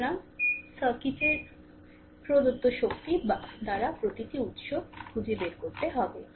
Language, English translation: Bengali, So, you have to find out the power delivered by each source of the circuit right